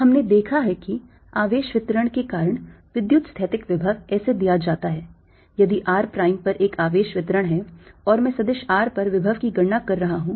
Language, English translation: Hindi, we have seen that the electrostatic potential due to a charge distribution is given as if there is a charge distribution at r prime and i am calculating potential at vector r, then the electrostatic potential v